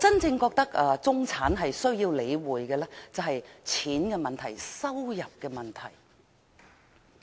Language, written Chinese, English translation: Cantonese, 我覺得中產真正需要理會的是錢的問題、收入的問題。, I think the real concern of the middle class is money and income